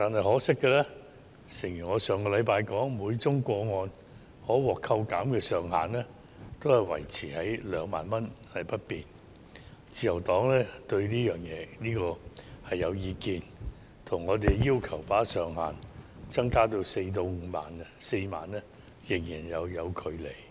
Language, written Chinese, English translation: Cantonese, 可惜的是，承如我上星期所說，每宗個案可獲扣減的上限維持在2萬元不變，自由黨對此頗有意見，因為與我們要求把上限增加至4萬元仍有一段距離。, Unfortunately as I said last week the Liberal Party has strong views about the retention of the ceiling at 20,000 per case which is way below the 40,000 which we have requested